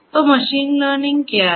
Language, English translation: Hindi, So, what is machine learning